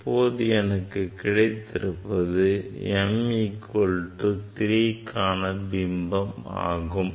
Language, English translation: Tamil, You see now; this is the m equal to this third one